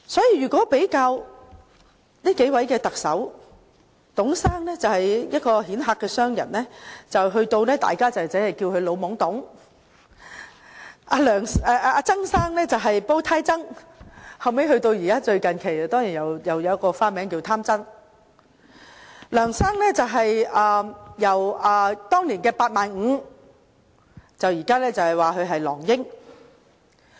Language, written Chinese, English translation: Cantonese, 如果比較上述3位特首的外號，董先生身為一位顯赫商人，大家稱呼他為"老懵董"；曾先生的外號是"煲呔曾"，近期更多了一個外號，名為"貪曾"；梁先生的外號則由當年的"八萬五"變成今天的"狼英"。, If we compare the nicknames of the three Chief Executives above Mr TUNG a successful entrepreneur was called TUNG the Old Fool; Mr TSANG was labelled Bowtie TSANG and was given another nickname Greedy TSANG in recent years; Mr LEUNGs nickname changed from Mr 85 000 then to CY the Wolf now